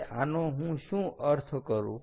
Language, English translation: Gujarati, now, what do i mean by that